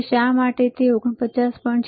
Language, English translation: Gujarati, Now, why it was close to 49